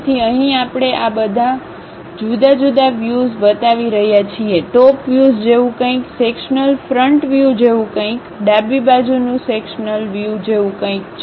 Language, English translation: Gujarati, So, here we are showing all these different views; something like the top view, something like sectional front view, something like left hand sectional view